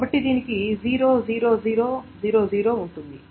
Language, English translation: Telugu, So it will have 0 0 0